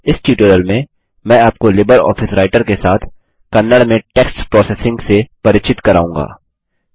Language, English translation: Hindi, In this tutorial I will introduce you to text processing in Kannada with LibreOffice Writer